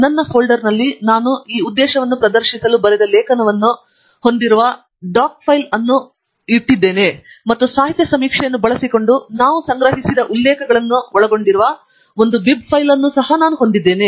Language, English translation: Kannada, In my folder, I have a doc file which contains an article which I have written to demonstrate this purpose, and I have a bib file which contains references we have collected using the literature survey